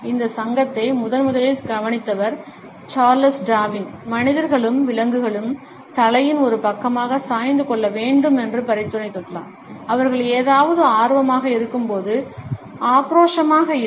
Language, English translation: Tamil, Charles Darwin was the first to note this association and he had suggested that human beings as well as animals tilt their heads to one side, when they become interested in something and are not aggressive